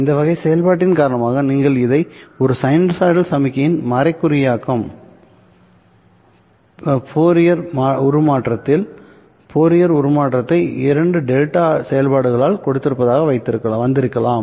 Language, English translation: Tamil, The description of a sinusoid signal would be to give its Fourier transform in the Fourier transform to denote it by two delta functions